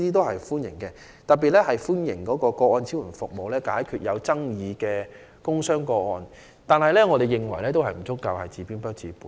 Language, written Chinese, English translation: Cantonese, 我們特別歡迎個案支援服務，因為能夠解決有爭議的工傷個案，但我們認為仍然不足，因為是治標不治本的。, We welcome all such initiatives particularly the Claims Support Services . The reason is that it can resolve work injury cases in dispute . But we think that it is still not enough as it is just a band - aid solution without addressing the crux of the problem